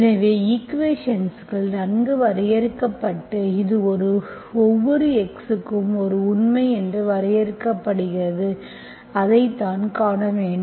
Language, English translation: Tamil, So the equation is defined, well defined, so it is defined for every x belongs to a real, that is what we have to see